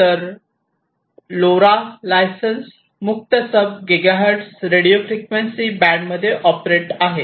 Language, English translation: Marathi, So, LoRa operates in the license free sub gigahertz radio frequency band